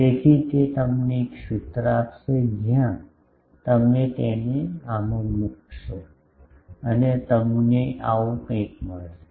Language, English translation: Gujarati, So, that will give you a formula where you will get putting that into this you get something like this